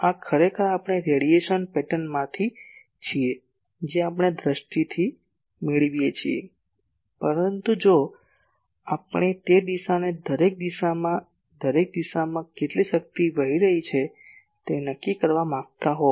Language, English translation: Gujarati, This is actually from the radiation pattern what we get visually , but if we want to quantify that at each direction , at each direction how much power is flowing